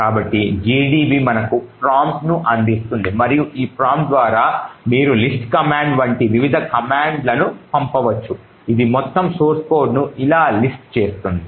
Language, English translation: Telugu, So gdb would provide you a prompt like this and through this prompt you could actually send various commands such as the list command which would list the entire source code like this